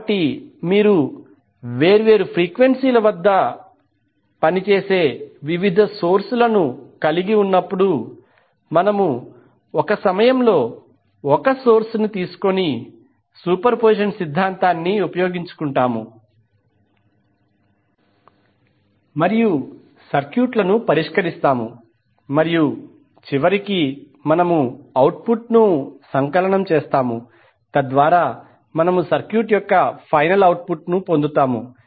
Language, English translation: Telugu, So when you have different sources operating at different frequencies we will utilize the superposition theorem by taking one source at a time and solve the circuit and finally we sum up the output so that we get the final output of the circuit